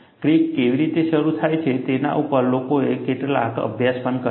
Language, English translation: Gujarati, People also have done certain studies, on how does crack initiates